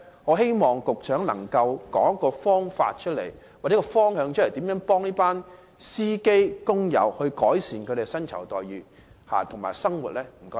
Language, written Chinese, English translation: Cantonese, 我希望局長能夠提出一個方法或方向，告訴我們如何協助這些司機工友，改善他們的薪酬待遇和生活。, I hope the Secretary can present a way or direction telling us how assistance will be provided to these drivers to improve their remuneration and living